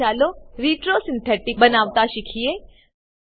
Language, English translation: Gujarati, Now, lets learn to create a retro synthetic pathway